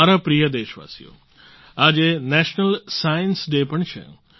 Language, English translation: Gujarati, today happens to be the 'National Science Day' too